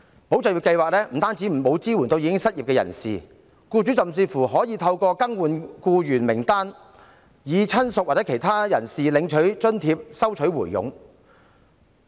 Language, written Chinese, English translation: Cantonese, "保就業"計劃不單沒有支援失業人士，僱主甚至可以透過更換僱員名單，以親屬或其他人士領取津貼，收取回佣。, Not only does ESS lack support for the unemployed . Employers may even receive kickbacks by replacing the list of employees having their relatives or other people collect the subsidies